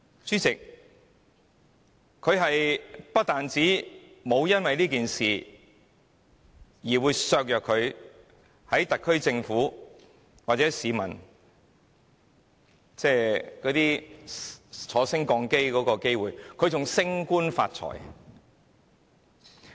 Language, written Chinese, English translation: Cantonese, 主席，她不單沒有因此事而影響了在特區政府的晉升的機會，還升官發財。, President not only was her promotion prospect in the SAR Government not adversely affected she even got promoted and made a fortune